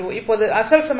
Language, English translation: Tamil, This is a linear equation